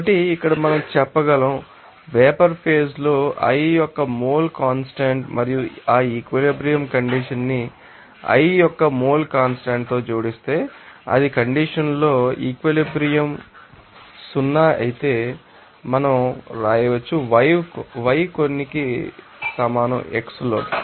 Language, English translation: Telugu, So, here we can say that that if suppose, yi the mole fraction of component i in the vapor phase and add that equilibrium condition with the mole fraction of i if it is equilibrium in condition then we can write yi will be equal to some Ki into xi